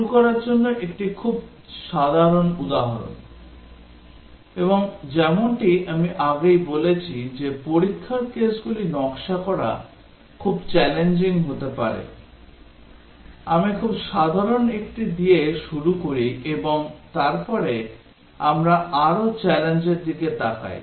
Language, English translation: Bengali, A very simple example to start with; and as I said earlier that designing test cases can be very challenging; I start with a very simple one and then we look at more challenging ones